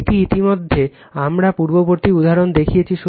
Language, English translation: Bengali, This already we have shown it previous example